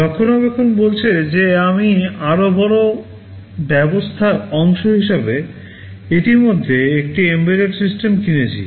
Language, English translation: Bengali, Maintainability says that I have already purchased an embedded system as part of a larger system